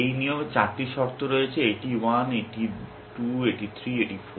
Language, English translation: Bengali, This rule has four conditions, this is 1, this is 2, and 3, and 4